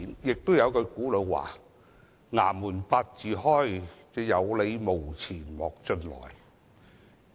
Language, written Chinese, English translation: Cantonese, 還有一句古老說話："衙門八字開，有理無錢莫進來"。, There is another ancient saying which goes like this The court opens for the rich people who have reasons but not the money should never come in